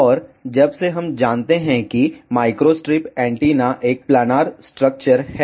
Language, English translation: Hindi, And since we know micro strip antenna is a planar structure